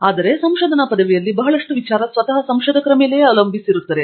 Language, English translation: Kannada, But when a research degree lot of it depends on the researcher himself or herself